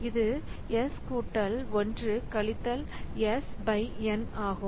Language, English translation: Tamil, So, this is S plus 1 minus s by n